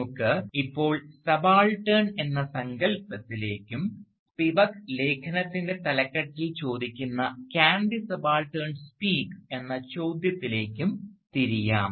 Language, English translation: Malayalam, So, let us now turn to the notion of the subaltern and to the question that Spivak so famously asks in the title of her essay, "Can the Subaltern Speak"